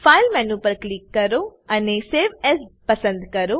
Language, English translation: Gujarati, click on File Menu select Save as